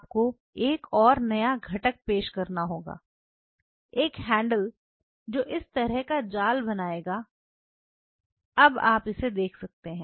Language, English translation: Hindi, So, you have to introduce another new component, a handle which will create this kind of mesh now you look at it